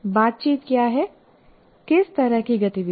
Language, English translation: Hindi, So what are the interactions, what kind of activity